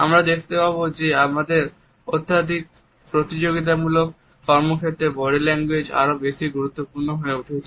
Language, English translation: Bengali, We would find that in our highly competitive professions body language has become more and more important